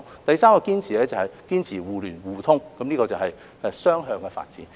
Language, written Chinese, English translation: Cantonese, 第三個堅持是堅持互聯互通，這是雙向的發展。, The third proposal is that we need to enhance connectivity which is a bilateral development